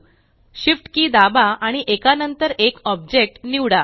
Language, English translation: Marathi, Press the Shift key and slect the object one after another